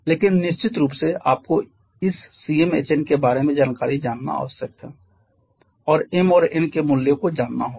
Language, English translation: Hindi, But of course you need to know the information about this Cm Hn the values of m and n needs to be known